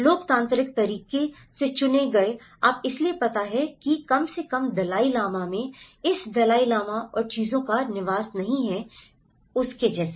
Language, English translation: Hindi, democratically elected, you know so there is no, at least in Dalai Lama there is no residence of this Dalai Lama and things like that